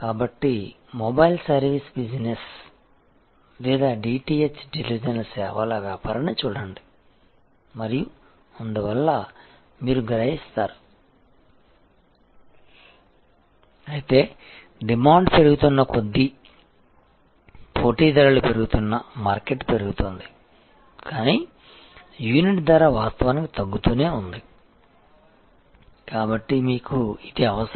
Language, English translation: Telugu, So, just look at the mobile service business or DTH televisions service business and so on, you will realize, but as more and more competitors coming the demand is growing market is growing, but price per unit actually keeps falling, so you need to therefore, your cost per unit also must fall, so that you maintain this difference